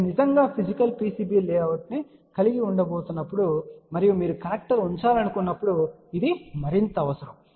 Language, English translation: Telugu, This will be required more when you are actually going to have a physical PCB layout and you want to put a connector